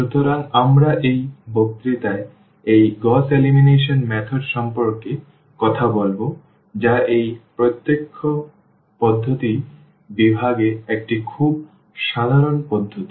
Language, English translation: Bengali, So, we will be talking about in this lecture about this Gauss elimination method, which is a very general one in the category of this direct methods